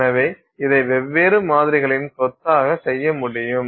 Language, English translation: Tamil, So, this you can do for a bunch of different samples